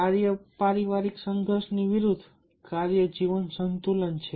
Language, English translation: Gujarati, just the opposite of work family conflict is the work life balance